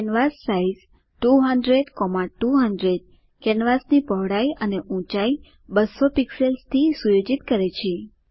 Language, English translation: Gujarati, canvassize 200,200 sets the canvas width and height to 200 pixels